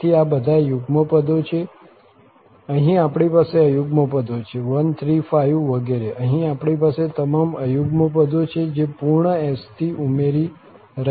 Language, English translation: Gujarati, So, these all are even terms, here we have the odd terms, 1, 3, 4, 5 etcetera, here we have all the odd terms, which is adding up to this complete S